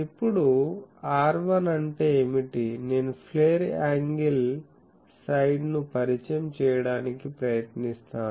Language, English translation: Telugu, Now, what is R1 I will try to introduce the flare angle side